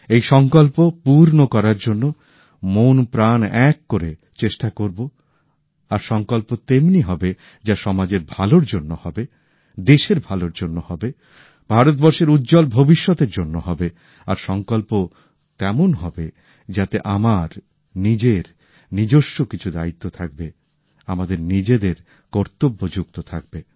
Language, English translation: Bengali, and to realize those resolves, we persevere wholeheartedly with due diligence…and resolves should be such that are meant for welfare of society, for the good of the country, for a bright future for India…resolves should be such in which the self assumes one responsibility or the other…intertwined with one's own duty